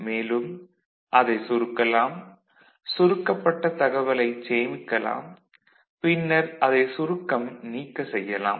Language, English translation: Tamil, We can compress it, we can store the information in the compressed manner and then we can decompress it